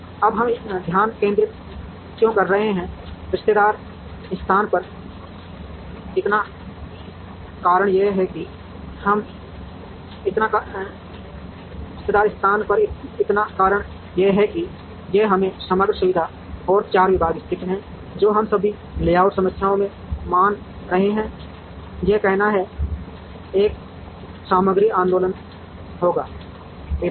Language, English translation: Hindi, Now, why are we concentrating, so much on the relative location the reason is within this is let us say the overall facility and 4 departments are located, what we assume in all layout problems is that, there will be a material movement, among the departments